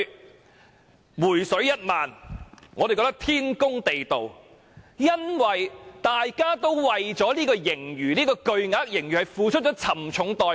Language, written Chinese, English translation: Cantonese, 我們認為"回水 "1 萬元天公地道，因為大家為了這筆巨額盈餘付出了沉重代價。, Thus People Power has advocated offering refund to all people all these years . I think it is only fair to offer a refund of 10,000 to all people because they have to pay a high price for the huge surplus